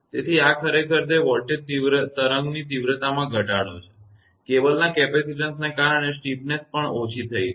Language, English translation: Gujarati, So, this actually it is reduction the magnitude of the voltage wave; the steepness is also reduced due to the capacitance of the cable